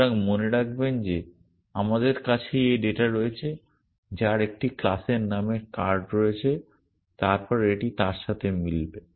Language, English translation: Bengali, So, remember we have this data which has a class name card then that will match that would